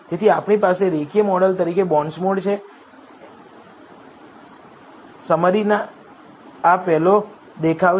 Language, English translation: Gujarati, So, we have bondsmod as the linear model, this is the first look at the summary